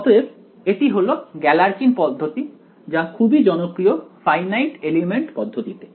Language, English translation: Bengali, So, that is your, that is a Galerkin’s method, which is yeah also very popular in finite element methods